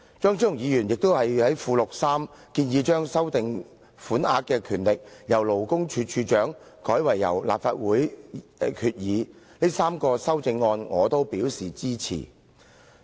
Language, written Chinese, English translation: Cantonese, 張超雄議員在文件的附錄3建議由賦權勞工處處長修訂有關款額，改為由立法會藉決議修訂，這3項修正案我都表示支持。, Dr CHEUNG also proposes in Appendix 3 of the document that the ceiling shall be amended by the Legislative Council by resolution instead of by the Commissioner for Labour . I support all of the three amendments